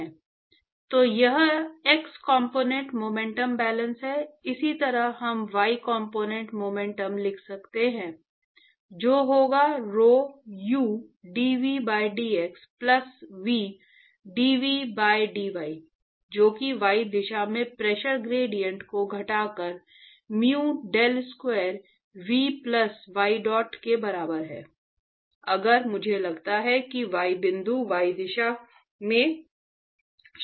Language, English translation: Hindi, So, this is the X component momentum balance similarly, we can write the Y component momentum balance, will be rho u dv by dx plus v dv by dy, that is equal to minus the pressure gradient in y direction plus mu del square v plus ydot